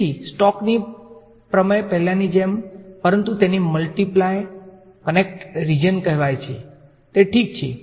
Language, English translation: Gujarati, So, Stoke’s theorem as before but in what is called a multiply connected region ok